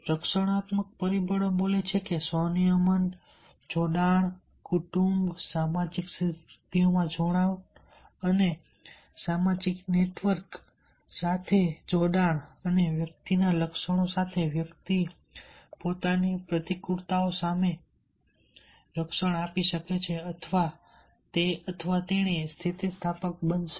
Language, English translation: Gujarati, the protective factors speaks that with the self regulation connections and the attachment in the family and social achievement and with social network and with personality traits, one can protect himself against the adversities